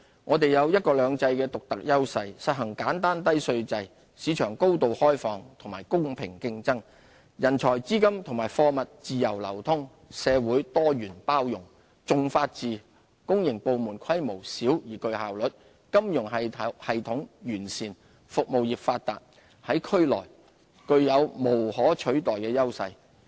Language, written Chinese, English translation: Cantonese, 我們有"一國兩制"的獨特優勢，實行簡單低稅制，市場高度開放和公平競爭，人才、資金和貨物自由流通，社會多元包容，重法治，公營部門規模小而具效率，金融系統完善，服務業發達，在區內具有無可取代的優勢。, We have the unique advantage of one country two systems a low and simple tax regime and a highly open market enabling free flows of people capital and goods . We embrace a pluralistic and inclusive society and uphold the rule of law . Our public sector is small yet efficient; our financial system is well - established and our service industries are well - developed marking our irreplaceable strengths in the region